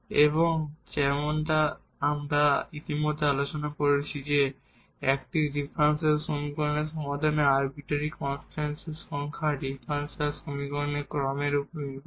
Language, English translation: Bengali, So, which call which we call as the particular solution and as we discussed already that the number of arbitrary constants in a solution of a differential equation depends on the order of the differential equation